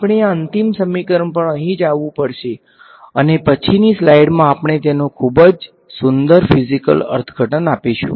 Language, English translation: Gujarati, We have to come to this final equation over here right, and in the subsequent slides we will give a very beautiful physical interpretation to it ok